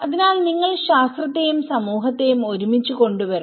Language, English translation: Malayalam, So you have to bring the science and society together